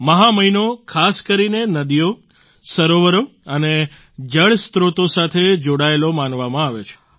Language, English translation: Gujarati, The month of Magh is regarded related especially to rivers, lakes and water sources